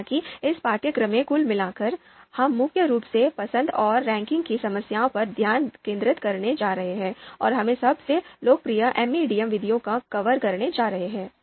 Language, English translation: Hindi, So overall in this course, we are going to mainly focus on choice and ranking problems and we are going to cover most popular MADM methods